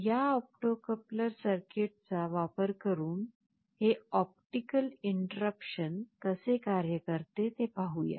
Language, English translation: Marathi, Let us see how this optical interruption works using this opto coupler circuit